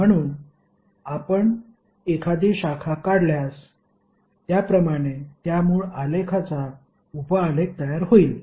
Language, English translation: Marathi, So if you remove one branch, like this if you remove it will become sub graph of the original graph